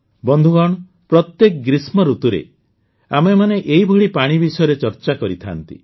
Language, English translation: Odia, Friends, we keep talking about the challenges related to water every summer